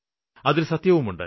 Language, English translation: Malayalam, There is some truth to it